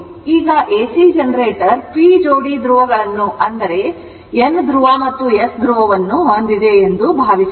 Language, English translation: Kannada, Now if an AC generator has p pairs of poles right when you have N pole and S pole, right